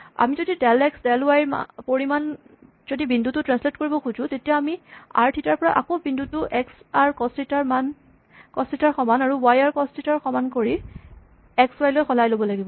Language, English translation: Assamese, If I want to translate the point by delta x delta y, I have to convert the point back from r theta to x, y; using x equal to r cos theta and y equal to r sin theta then do x plus delta x, y to plus delta y and convert it back to r theta right